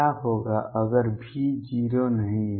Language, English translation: Hindi, What if V is not 0